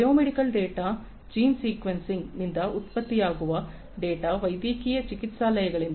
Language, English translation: Kannada, Biomedical data, data that are generated from gene sequencing, from medical clinics